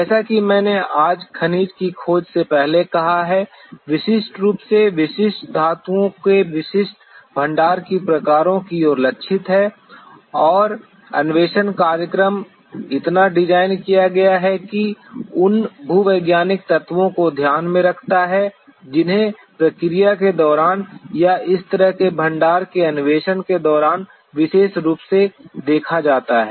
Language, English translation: Hindi, As I have stated before mineral exploration today, is essentially targeted towards specific deposit types of specific metals and the exploration program is so designed so that it takes into account those identified geological elements which are to be specifically looked for during the process or during exploration of such deposits